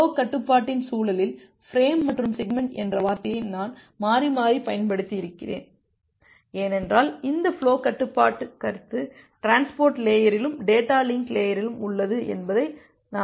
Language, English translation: Tamil, In the context of flow control, I have used the term frame and segment interchangeably because as we have seen that this concept of flow control is there at the transport layer as well as at the data link layer